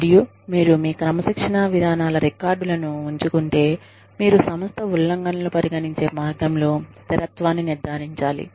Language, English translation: Telugu, And, if you keep records of your disciplining procedures, you can ensure consistency in the way, violations are treated by the organization